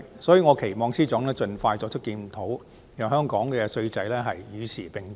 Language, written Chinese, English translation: Cantonese, 所以，我期望司長盡快作出檢討，讓香港的稅制與時並進。, As such I hope that the Financial Secretary will expeditiously conduct a review to keep Hong Kongs tax regime up to date